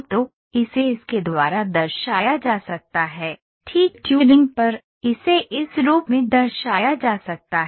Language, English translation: Hindi, So, this can be represented by this, on fine tuning this, this can be represented in this form